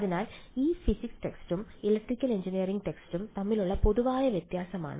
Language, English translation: Malayalam, So, this is a common difference between physics text and electrical engineering text